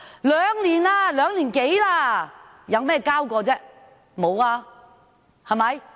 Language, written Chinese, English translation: Cantonese, 現已過了兩年多，他們交過些甚麼？, Now that more than two years have passed have they submitted anything?